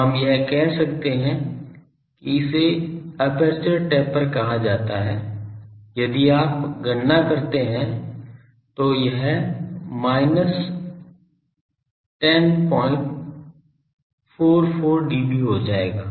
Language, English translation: Hindi, So, we can say this one this is called aperture taper that if you calculate that will become minus 10